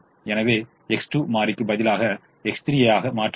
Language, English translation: Tamil, so x two has replaced variable x three